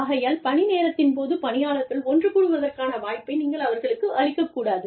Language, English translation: Tamil, You do not give employees, a chance to get together, during their office hours